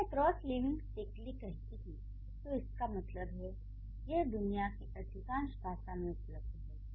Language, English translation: Hindi, So, when I say cross linguistically, that means it's available in most of the languages in the world